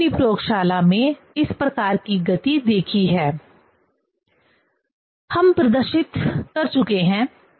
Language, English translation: Hindi, We have seen this type of motion in our laboratory, we have demonstrated